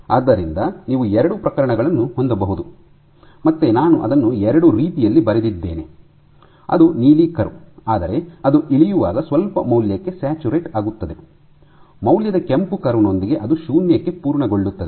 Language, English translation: Kannada, So, again I have drawn it in 2 ways in which the blue curve when it drops, but it saturates to some value, with the value red curve it drops to complete 0